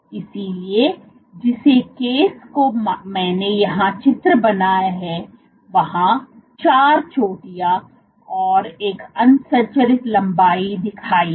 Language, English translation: Hindi, So, for the case I have drawn here, in this case I have shown 4 peaks small peaks and one unstructured length right